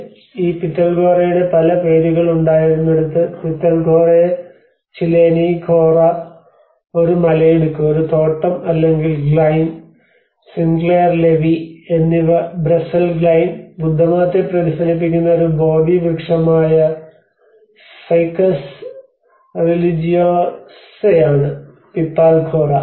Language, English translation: Malayalam, Deshpande, and where there has been many names of this Pitalkhora, Pithalkhoraya ChiLeni, Khora, is a ravine, a gorge or a glein and Sinclair Levi which is a Brazen Glein, Pipal Khora which is Ficus religiosa which is a Bodhi tree which reflected the Buddhism